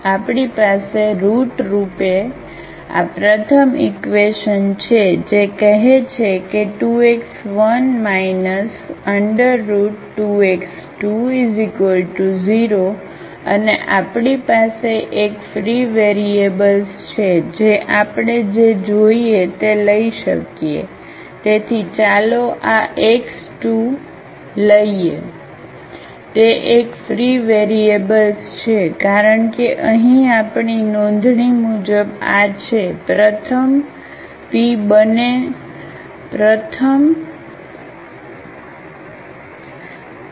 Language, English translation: Gujarati, So, we have basically this first equation which says that 2 x 1 minus square root 2 x 2 is equal to 0 and we have one free variable which we can take whichever we want, so let us take this x 2 is a free variable because as per our notations here this is the first the p both here